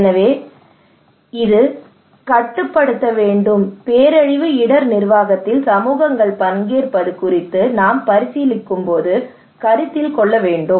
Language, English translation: Tamil, So this should be controlled, considered when we are considering about participation of communities in disaster risk management